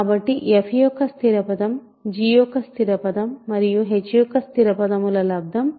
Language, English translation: Telugu, So, constant term of f is constant term of g times constant term of h